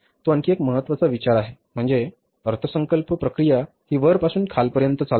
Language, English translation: Marathi, It is one thing is that is the budgeting process from top to bottom